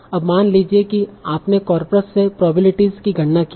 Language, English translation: Hindi, Now suppose you have computed bygram probabilities from the corpus